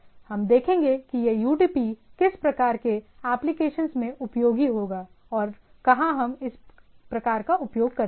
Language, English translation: Hindi, We will see that where which type of applications which where this UDP will be useful and where we use this type of thing